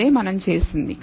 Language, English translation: Telugu, We have done that